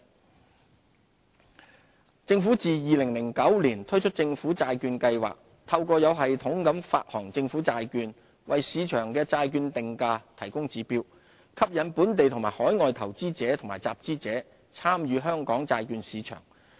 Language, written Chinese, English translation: Cantonese, 本地債券市場政府自2009年推出政府債券計劃，透過有系統地發行政府債券，為市場的債券定價提供指標，吸引本地和海外投資者及集資者參與香港債券市場。, Since the launch of the Government Bond Programme GBP in 2009 the Government has set a bond pricing benchmark for the market through systematic issuance of government bonds . This initiative has successfully attracted local and overseas investors and issuers to participate in Hong Kongs bond market